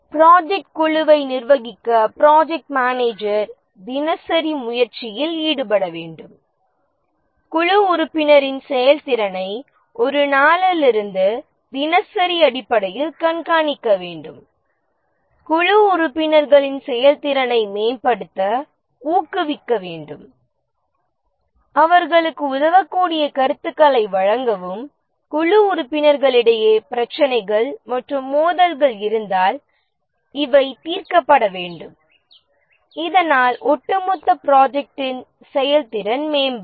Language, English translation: Tamil, To manage the project team, the project manager has to put in daily effort, has to track the team member performance on a day to day basis, motivate the team members to improve their performance, provide feedback which can help them, and if there are issues and conflicts among the team members these need to be resolved so that the overall project performance improves